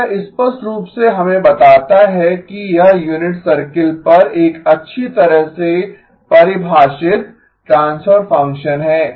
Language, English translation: Hindi, Now this clearly tells us that this is a well defined transfer function on the unit circle